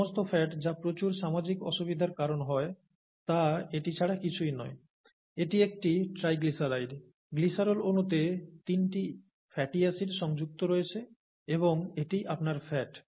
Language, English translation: Bengali, All the fat that that causes a lot of social difficulty is nothing but this, okay, it is a triglyceride, you have three fatty acids attached to a glycerol molecule and that is your fat